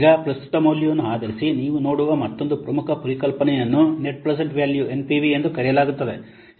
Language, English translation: Kannada, Now, based on the present value, another important concept you will see that is known as net present value